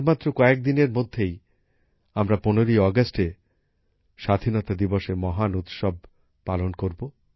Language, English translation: Bengali, In a few days we will be a part of this great festival of independence on the 15th of August